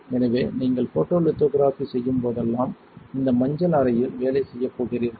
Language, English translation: Tamil, So, whenever you do photolithography you are going to be working in this yellow room